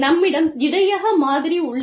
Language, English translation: Tamil, We have, the buffering model